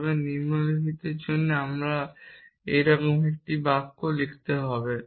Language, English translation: Bengali, like this for each low I can write a sentence like this